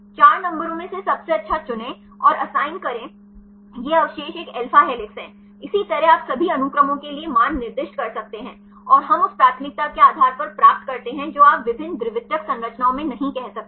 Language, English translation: Hindi, There for among the 4 numbers choose the best and assign these residues is an alpha helix, likewise you can assign the values for all the sequence and we get based on the preference you cannot say in different secondary structures